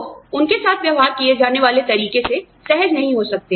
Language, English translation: Hindi, People may not feel comfortable, with the way, they are being treated